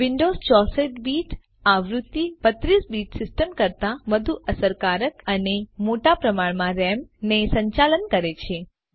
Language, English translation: Gujarati, The 64 bit version of Windows handles large amounts RAM more effectively than a 32 bit system